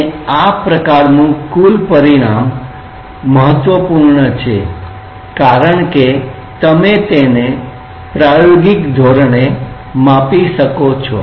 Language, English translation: Gujarati, And this kind of gross consequence is important because you can measure it experimentally